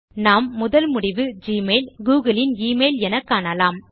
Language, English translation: Tamil, We see that the top result is for gmail, the email from google